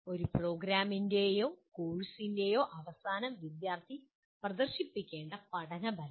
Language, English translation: Malayalam, The learning outcomes the student should display at the end of a program or a course